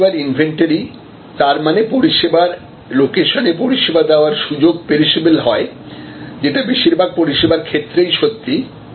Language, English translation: Bengali, Service inventory; that means, the service opportunity of the service vocation is perishable, which is true for most services